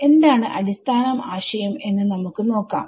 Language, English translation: Malayalam, So, let us see what is the basic idea